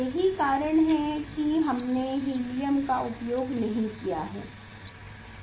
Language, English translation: Hindi, that is why we have used helium